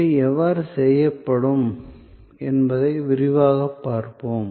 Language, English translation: Tamil, We will see in detail how these will be done